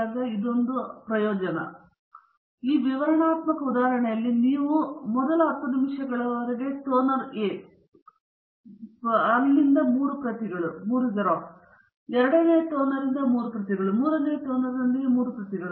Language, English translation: Kannada, So, in this very illustrative example, what you can do is do toner A for the first 10 minutes 3 copies with the first toner, and then 3 copies with the second toner, and 3 copies with the third toner